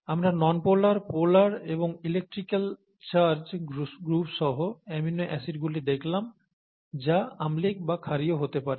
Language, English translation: Bengali, So we saw amino acids with nonpolar groups, we saw amino acids with polar groups, and electrically charged groups which could either be acidic or basic, thatÕs good enough